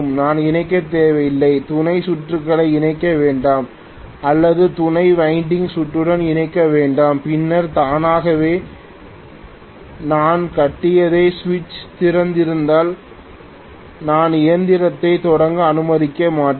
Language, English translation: Tamil, I need not connect, do not connect the auxiliary circuit at all or do not connect the auxiliary winding circuit, then automatically if I open the switch whatever I had shown, if the switch is open I am going to essentially not allow the machine to start